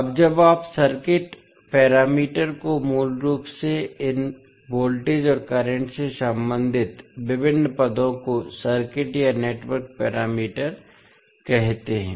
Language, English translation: Hindi, Now, when you say circuit parameters basically the various terms that relate to these voltages and currents are called circuit or network parameters